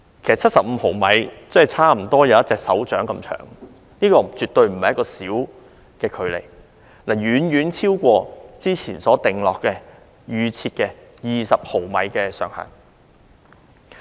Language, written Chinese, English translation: Cantonese, 其實75毫米差不多有手掌那麼長，這絕非一個很短的距離，而是遠遠超出之前所預先設定的20毫米上限。, In fact 75 mm is about the length of a palm and it is by no means short; rather it has far exceeded the original set threshold of 20 mm